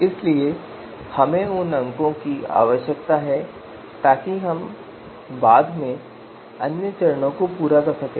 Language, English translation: Hindi, So we need to have those scores so that we can you know later on perform the other steps